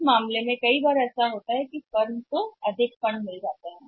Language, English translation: Hindi, So in that case sometimes what happens that say the firm has got surplus funds